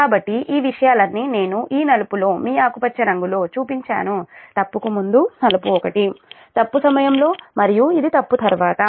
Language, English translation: Telugu, so all these things, your, all these, all these things i have shown in this black, your green one before fault, black one during fault and this one after fault